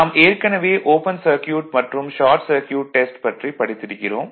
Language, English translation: Tamil, Already we have studied open circuit test and short circuit right